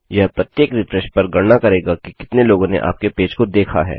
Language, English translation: Hindi, This will count how many people have visited your page per refresh